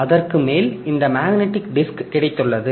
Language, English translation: Tamil, On top of that we have got this magnetic disk, okay